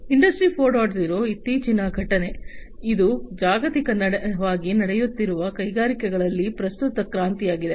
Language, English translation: Kannada, 0 is the recent happening, it is the current revolution in the industries that is happening globally